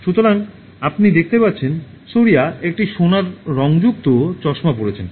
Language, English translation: Bengali, So, you see Surya is wearing a gold tinted spectacles okay